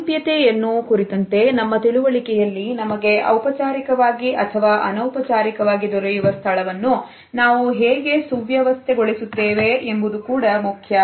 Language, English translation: Kannada, In our understanding of proximity, the way we arrange our space which is available to us in a formal or an informal setting is also important